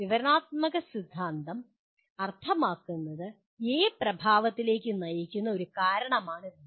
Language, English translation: Malayalam, Descriptive theory means a cause A leads to effect B